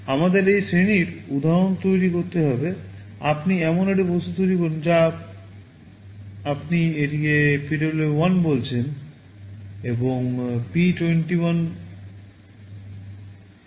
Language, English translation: Bengali, We will have to create an instance of this class, you create an object you call it PWM1 and p21 is the name of the pin